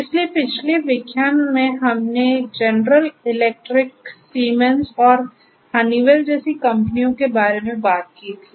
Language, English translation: Hindi, So, in the previous lecture we talked about the companies like General Electric, Siemens and Honeywell